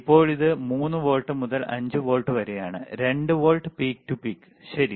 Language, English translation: Malayalam, Now, the it is from 3 volts to 5 volts, so, only 2 volts peak to peak ok